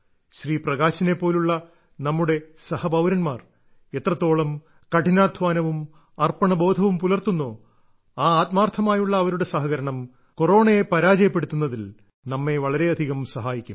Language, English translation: Malayalam, The kind of hard work and commitment that our friends like Bhai Prakash ji are putting in their work, that very quantum of cooperation from them will greatly help in defeating Corona